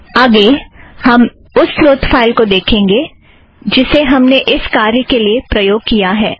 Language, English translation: Hindi, Let us next see the source file that we used for this purpose